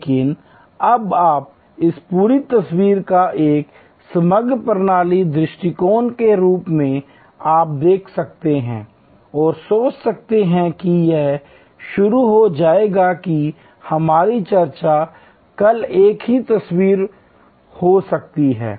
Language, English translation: Hindi, But, you can now look at this whole picture as a composite systems approach and think about it will start our discussion could the same picture tomorrow